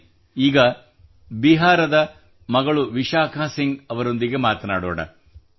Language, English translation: Kannada, Come, let's now speak to daughter from Bihar,Vishakha Singh ji